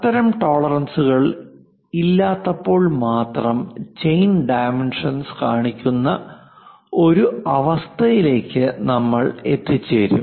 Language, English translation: Malayalam, When we do not have such kind of tolerances then only, we will be in a position to show chain dimensioning